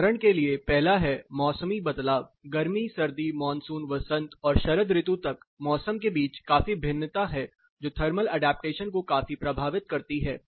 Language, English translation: Hindi, For example, the first thing is seasonal variation from summer to winter to monsoon to spring to autumn, there is a considerably variation between the seasons which significantly effects thermal adaptation